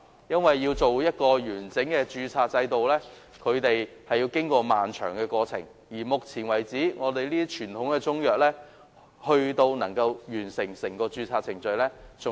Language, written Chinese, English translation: Cantonese, 訂定完整的註冊制度，要經過漫長的過程，至今只有極少數傳統中藥能夠完成整個註冊程序。, The formulation of a comprehensive registration system is necessarily a prolonged process . Only very few types of traditional Chinese medicine have been able to complete the whole registration process thus far